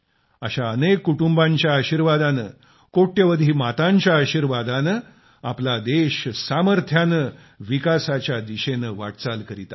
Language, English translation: Marathi, With the blessing of such families, the blessings of crores of mothers, our country is moving towards development with strength